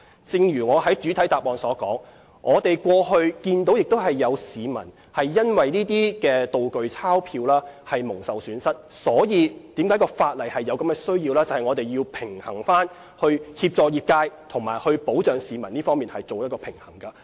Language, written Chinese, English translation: Cantonese, 正如我在主體答覆所說，我們過去看到有市民因為"道具鈔票"而蒙受損失，所以有制定法例的需要，以在協助業界和保障市民之間作出平衡。, As I said in the main reply we saw members of the public suffer losses involving prop banknotes . It is thus necessary to enact an ordinance to strike a balance between assisting the industry and protecting the public